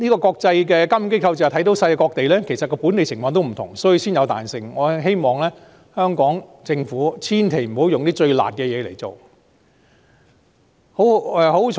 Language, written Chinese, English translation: Cantonese, 國際監管機構正是看到世界各地情況不同，所以才給予彈性，我希望香港政府千萬不要挑最"辣"的措施來推行。, It is precisely because the international regulatory body noticed different situations around the world that it has allowed for flexibility . I absolutely do not wish to see the Hong Kong Government select the harshest measures to implement